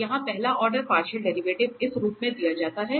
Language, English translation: Hindi, So, here the first order partial derivative can be given in this form